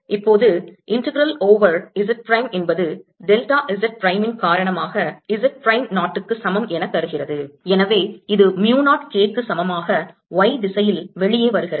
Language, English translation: Tamil, now, the integral over z prime because of delta z prime gives me z prime equals zero and therefore this becomes equal to mu naught